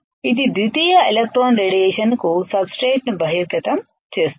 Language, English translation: Telugu, That it exposes substrate to secondary electron radiation